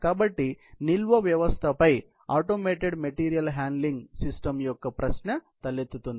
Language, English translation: Telugu, So, therefore, this question of automated material handling on storage system arise